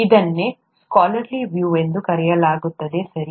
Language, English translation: Kannada, This is what is called a scholarly view, okay